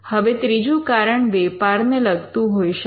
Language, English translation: Gujarati, Now, the third reason could be reasons pertaining to commerce